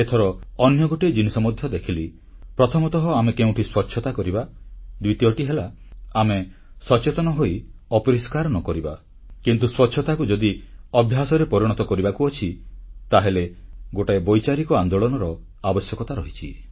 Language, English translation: Odia, I noticed something else this time one is that we clean up a place, and the second is that we become aware and do not spread filth; but if we have to inculcate cleanliness as a habit, we must start an idea based movement also